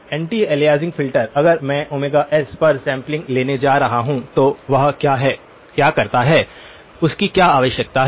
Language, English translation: Hindi, The anti aliasing filter; if I am going to sample at omega s, what does that; what does the requirements of that